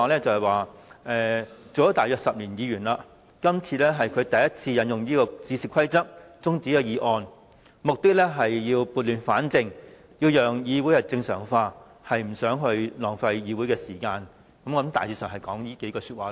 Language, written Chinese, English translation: Cantonese, 他說擔任議員約10年，今次是他首次引用《議事規則》中止議案辯論，目的是要撥亂反正，讓議會正常化，不想浪費議會時間，大致上是以上意思。, He says that this is his first time in his 10 years as a Member to move an adjournment motion under the Rules of Procedure . He wants to set things right and restore the normal state of the Council and he does not want to waste Council business time . His reasons are roughly as above